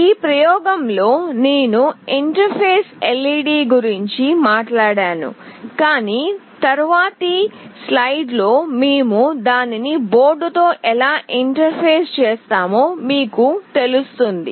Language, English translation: Telugu, Although in this experiment I will not interface the LED, but in subsequent slides you will find how do we interface it with the board